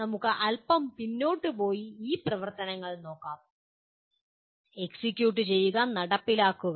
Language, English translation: Malayalam, Let us go back a little bit and look at these two activities, execute and implement